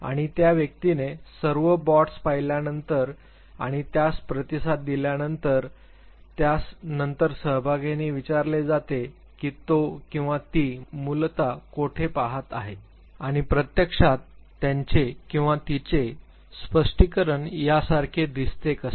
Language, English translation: Marathi, And after the individual has seen and responded to all the blots the participant is then asked to state where exactly he or she was looking at originally and what actually look like what he or she is explained